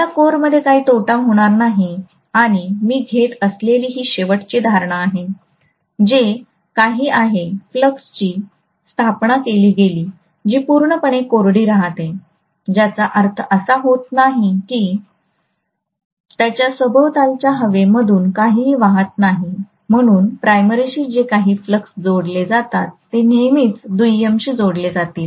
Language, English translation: Marathi, I am not going to have any losses in the core and the last assumption that I am going to make is, whatever is the flux established that is going to completely confined itself to the core that means nothing is going to flow through the air surrounding it, so whatever flux links with the primary will always linked with the secondary and vice versa